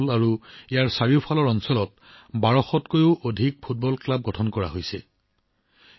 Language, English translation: Assamese, More than 1200 football clubs have been formed in Shahdol and its surrounding areas